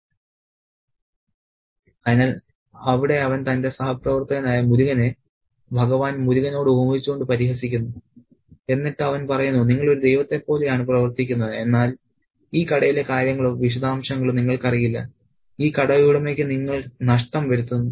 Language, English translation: Malayalam, So, he mocks his fellow worker Murgan thereby comparing him to Lord Murga and he says that you know you act like a lord but you don't know the specifics or the details in the shop and you bring upon losses for this shop owner